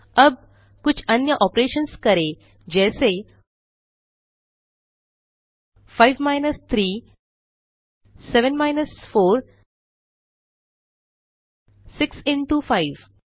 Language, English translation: Hindi, Now, Let us now try few more operations such as, 5 minus 3, 7 minus 4, 6 into 5